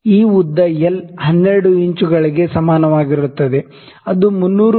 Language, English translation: Kannada, This length l is equal to 12 inches which is equal to 300 mm, ok